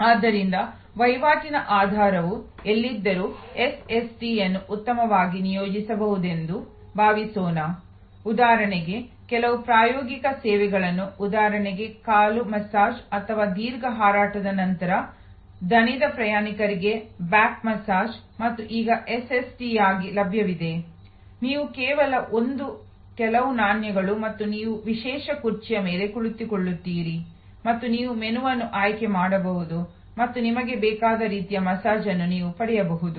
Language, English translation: Kannada, So, wherever the basis of transaction is information as suppose to experience SST can be very well deployed, some even experiential services like for example foot massage or back massage for tired travelers after long flight and now available as a SST, you just drop in a few a coins and you sit on the special chair and you can select the menu and you can get the kind of massage you want